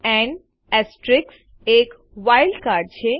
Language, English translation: Gujarati, And * is a wild card